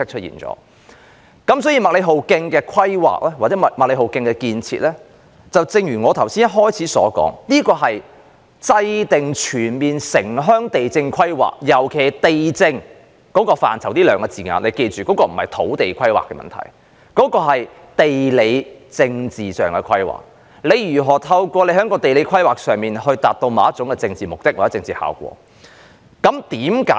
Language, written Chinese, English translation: Cantonese, 因此，麥理浩徑的規劃及興建，正如我剛才開場發言時所言，是為制訂全面城鄉地政規劃，尤其"地政"一詞的涵義，請大家記住，它所涵蓋的，並非土地規劃問題，而是地理政治規劃問題，即如何透過地理規劃，以達致某種政治目的或效果。, Therefore as I have just said at the beginning of my speech the planning and construction of MacLehose Trail were for the purpose of formulating comprehensive urban and rural land administration and planning . For the term land administration in particular it has something to do with planning governed by geopolitics and does not refer to land planning